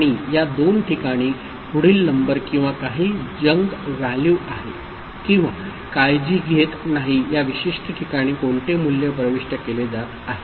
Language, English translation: Marathi, And these two places the next number or some junk value or would not care which value are entering in this particular place right